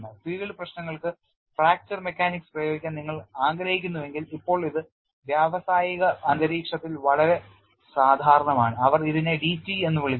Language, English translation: Malayalam, You know if you want to apply fracture mechanics for field problems, now it is very common in industrial environment, they called this as d t